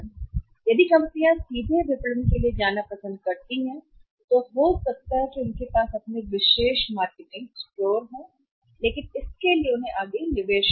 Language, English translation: Hindi, If companies prefer to go for direct marketing they can have exclusive stores in that case what they have to do is they have to make further investment